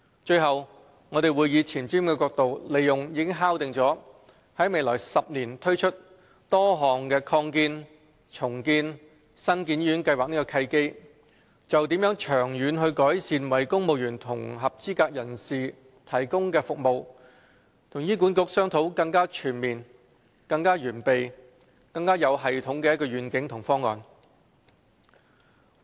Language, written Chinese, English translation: Cantonese, 最後，我們會以前瞻角度利用已敲定於未來10年推行多項擴建、重建及新建醫院計劃的契機，就長遠改善為公務員及合資格人士提供的服務與醫管局商討更全面、更完備、更有系統的願景和方案。, Lastly we will from a forward - looking perspective capitalize on opportunities arising from a number of plans which have been finalized for implementation in the next decade for the expansion redevelopment and construction of hospitals to negotiate a more comprehensive well - equipped and systematic vision and plan with HA for improvements to services provided for civil servants and eligible persons in the long term